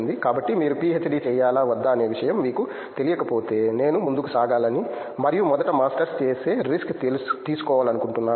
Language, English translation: Telugu, So, I would like to tell that if you are not sure as to whether PhD for me or not, I would like to you push ahead and take the risk of doing masters first